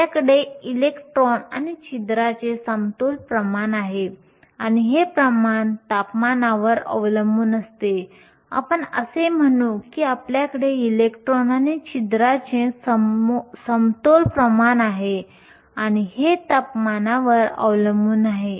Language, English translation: Marathi, We have an equilibrium concentration of electrons and holes and this concentration depends upon the temperature, in say we have an equilibrium concentration of electrons and holes and this is temperature dependent